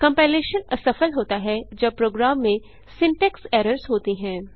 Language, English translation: Hindi, Compilation fails when a program has syntax errors